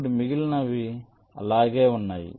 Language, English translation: Telugu, now the rest remains same